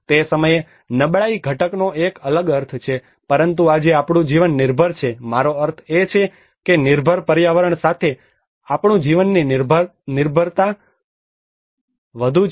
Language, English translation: Gujarati, That time the vulnerability component has a different meaning, but today our dependency of life I mean our life dependence is more to do with the built environment